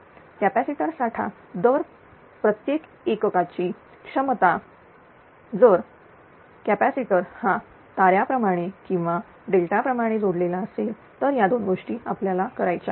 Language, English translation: Marathi, The rating of the capacitor bank, the capacitance of each unit if the capacitors are connected either in delta or in star right these are the two things you have to do it